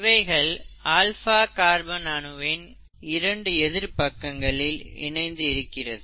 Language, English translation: Tamil, So, these two are attached with the opposite ends of the carbon molecule, the alpha carbon molecule, here